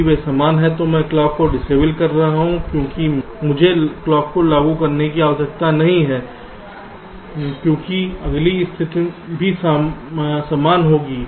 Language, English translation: Hindi, if they are same, i am disabling the clock because i need not apply the clock, because the next state will also be the same